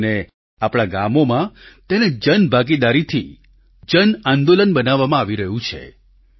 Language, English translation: Gujarati, Especially in our villages, it is being converted into a mass movement with public participation